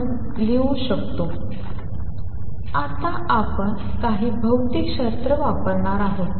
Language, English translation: Marathi, Now, we are going to use some physics